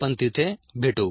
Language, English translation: Marathi, see you there